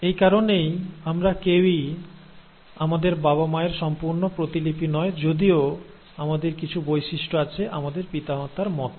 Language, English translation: Bengali, And that is the reason why none of us are an exact copy of our parents, though we have characters which are similar to our parents